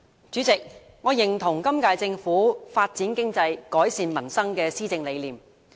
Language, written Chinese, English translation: Cantonese, 主席，我認同本屆政府"發展經濟，改善民生"的施政理念。, President I echo the policy vision of the current - term Government in Developing the Economy and Improving Peoples Livelihood